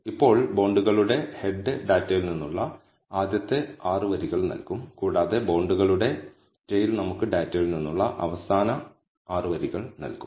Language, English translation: Malayalam, Now, head of bonds will give us the first 6 rows from the data and tail of bonds will give us the last 6 rows from the data